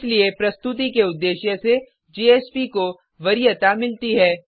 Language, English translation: Hindi, Therefore for presentation purpose JSP is preferred